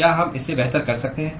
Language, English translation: Hindi, can we do it better than that